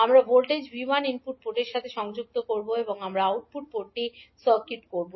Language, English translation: Bengali, We will connect the voltage source V1 to the input port and we will open circuit the output port